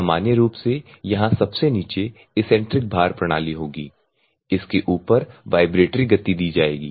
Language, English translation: Hindi, Here normally in a you will have at the bottom the eccentric weight system will be there on top of it vibratory motion will be given